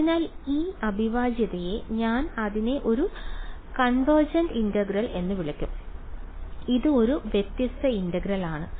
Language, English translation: Malayalam, So, this integral I will call it a convergent integral and this is a divergent integral